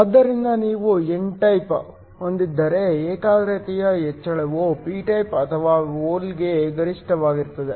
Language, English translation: Kannada, So, if you had an n type then the increase in concentration is maximum for the p type or the hole